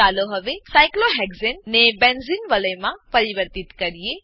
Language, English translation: Gujarati, Let us now convert cyclohexane to a benzene ring